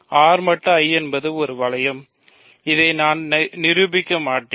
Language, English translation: Tamil, So, R mod I is ring; so, I will not prove this ok